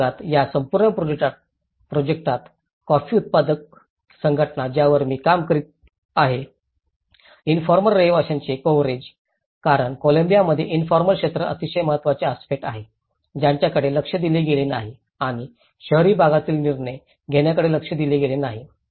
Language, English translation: Marathi, In this segment, in this whole project, because it’s a coffee growers associations which I working on, the coverage of informal dwellers because informal sector is very significant aspect in Colombia which has not been addressed and concentrated decision making in urban areas and lack of continuity and loss of knowledge what happens